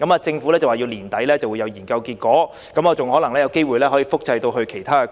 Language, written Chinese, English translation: Cantonese, 政府說今年年底研究便會有結果，更可能複製到其他地區。, The Government said the results of the study will come out at the end of this year and the study may even be cloned in other districts